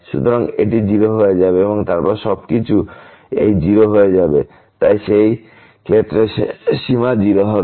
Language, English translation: Bengali, So, this will become 0 and then everything will become this 0, so limit will be 0 in that case also